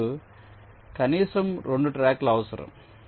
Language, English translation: Telugu, you need minimum two tracks